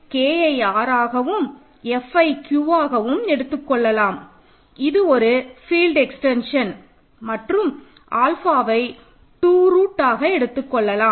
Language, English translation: Tamil, So, let us take K to be R and F to be Q this is a field extension and let us take alpha to be root 2